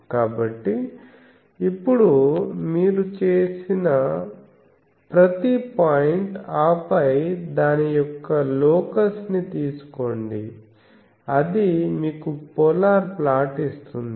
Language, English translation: Telugu, So, every point now you made, and then take a locus of that, that will give you the polar plot as this fellow is doing